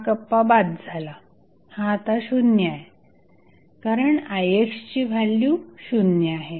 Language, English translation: Marathi, So, this compartment is out, this is 0 now, because the Ix value is 0